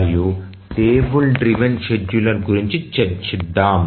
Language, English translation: Telugu, And now let's look at the table driven scheduler